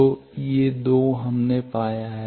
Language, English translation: Hindi, So, these 2 we have found